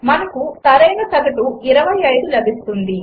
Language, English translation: Telugu, We get the correct average, 25